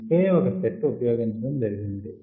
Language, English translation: Telugu, only one set is used